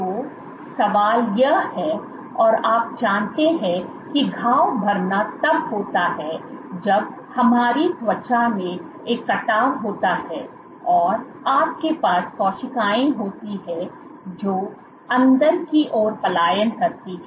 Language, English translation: Hindi, So, the question, you know wound healing occurs when we have a cut in our skin you have the cells which migrate inward